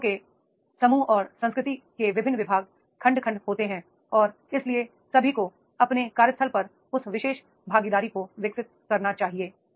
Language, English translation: Hindi, In organizations there are the different departments, sections, segments of the group and culture and therefore all are supposed to develop that particular participation in their workplace